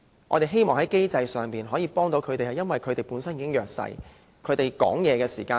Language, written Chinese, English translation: Cantonese, 我們希望在機制上，可以幫助他們，因為他們本身已處於弱勢。, We hope to help them through the mechanism because they are already in a disadvantaged position